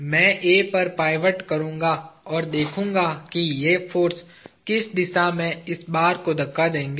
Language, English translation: Hindi, I will pivot about A and look at what will be the direction in which these forces will push this bar